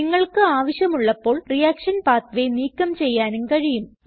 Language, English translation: Malayalam, We can also remove the reaction pathway, if we want to